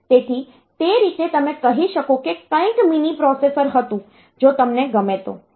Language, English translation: Gujarati, So, that way you can say that something was mini processor, so if you like